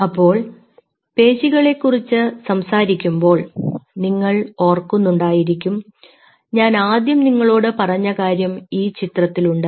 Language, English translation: Malayalam, so when you talk about muscle, if you remember, the first thing, what we told you is: this is the picture right out here